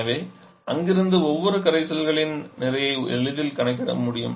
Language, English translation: Tamil, So from there, we can easily calculate the mass of each of the solutions